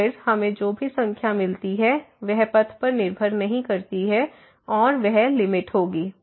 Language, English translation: Hindi, So, then whatever number we get that does not depend on the path and that will be the limit